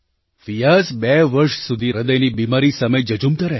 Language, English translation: Gujarati, Fiaz, battled a heart disease for two years